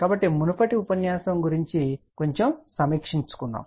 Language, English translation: Telugu, So, let us have a little bitreview of the previous lecture